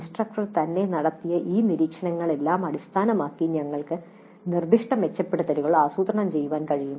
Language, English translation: Malayalam, So based on all these observations by the instructor herself we can plan specific improvements